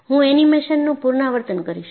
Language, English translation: Gujarati, I will repeat the animation